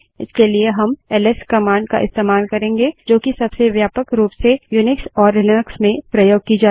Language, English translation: Hindi, For this we have the ls command which is probably the most widely used command in Unix and Linux